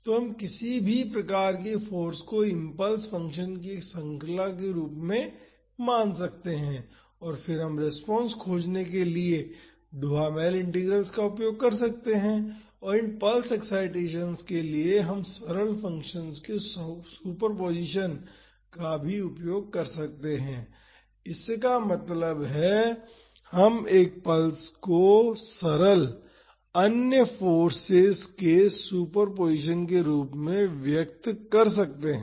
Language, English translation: Hindi, So, we can treat any type of force as a series of impulse functions and then we can use Duhamel Integrals to find the response and for these pulse excitations we can also use superposition of simpler functions; that means, we can express a pulse as a superposition of simpler other forces